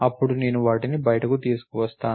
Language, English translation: Telugu, Then, I bring them out